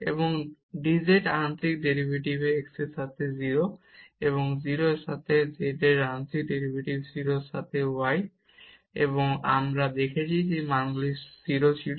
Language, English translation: Bengali, And this dz the partial derivative with respect to x at 0 partial derivative of z with respect to y at 0, and we have seen those values were 0